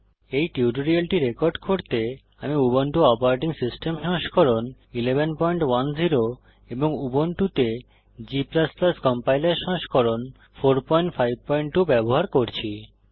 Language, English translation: Bengali, To record this tutorial, I am using Ubuntu operating system version 11.10 and G++ Compiler version 4.5.2 on Ubuntu